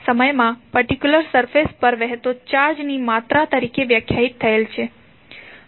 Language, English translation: Gujarati, So, it means that the amount of charge is flowing across a particular surface in a unit time